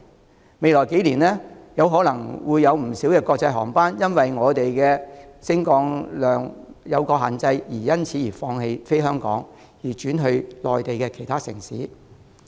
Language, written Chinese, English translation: Cantonese, 在未來幾年，可能會有不少國際航班因為香港機場的升降量有所限制而放棄香港，轉飛內地其他城市。, In the next few years a number of international flights may give up Hong Kong and fly to other Mainland cities owing to limited aircraft movements at the Hong Kong airport